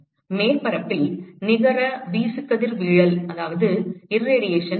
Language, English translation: Tamil, What is the net irradiation to the surface